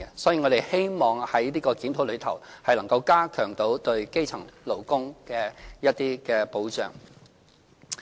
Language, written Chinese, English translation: Cantonese, 所以，我們希望這項檢討能夠加強對基層勞工的保障。, Hence we hope that the review can provide enhanced protection for elementary workers